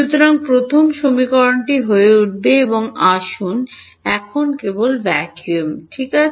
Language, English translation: Bengali, So, the first equation will become and let us further just take vacuum ok